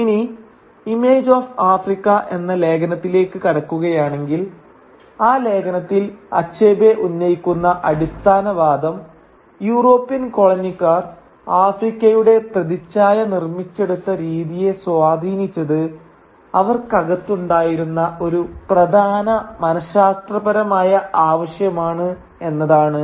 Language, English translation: Malayalam, Now coming to the essay “Image of Africa”, the fundamental argument that Achebe makes in that essay is at the way the image of Africa was constructed by the colonising Europeans was guided by an important psychological need in them